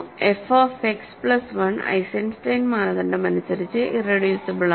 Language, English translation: Malayalam, So, f X plus 1 is irreducible by Eisenstein criterion